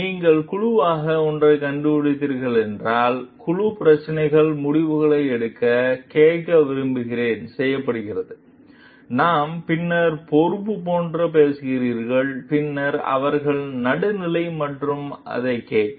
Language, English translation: Tamil, And if you find like the joint committee is made to like listen to the problems take decisions, and we are talking of then like responsibility, then for them to be neutral and listen to it